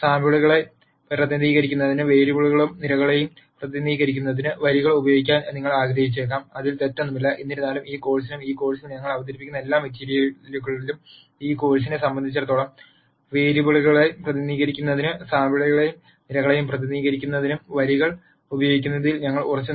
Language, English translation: Malayalam, It is possible that you might want to use rows to represent variables and columns to represent samples and there is nothing wrong with that; however, in this course and all the material that we present in this course we will stick to using rows to represent samples and columns to represent variables as far as this course is concerned